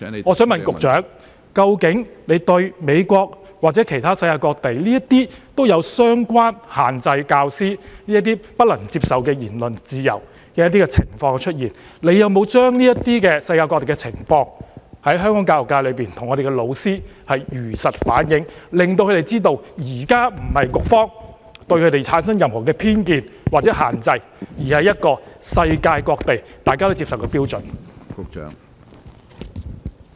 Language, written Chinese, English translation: Cantonese, 關於美國或世界各地限制教師不能享有言論自由的相關情況，請問局長有否向香港教育界的教師如實反映，令他們知道局方現時的做法並非對他們存有任何偏見或施加任何限制，而是世界各地均接受的標準做法？, Regarding the relevant restrictions on teachers entitlement to freedom of speech in the United States or places around the world has the Secretary relayed the facts to the teachers in the Hong Kong education sector to let them know that the Bureaus present approach is a standard practice accepted by places around the world rather than holding any bias against them or imposing any restrictions on them?